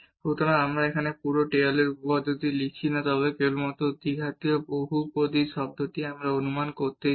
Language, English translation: Bengali, So, we are not writing here the whole Taylor’s theorem, but only the quadratic polynomial term we want to approximate that